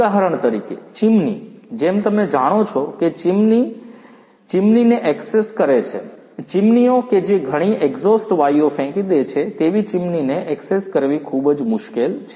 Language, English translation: Gujarati, For example, chimneys; chimneys accessing the chimneys as you know, chimneys which throw a lot of exhaust gases accessing those chimneys is very difficult